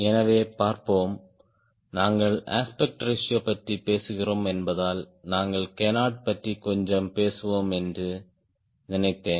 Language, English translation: Tamil, since we are talking aspect ratio, i thought we talked about canard little bit